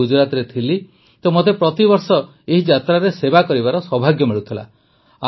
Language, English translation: Odia, I was in Gujarat, so I also used to get the privilege of serving in this Yatra every year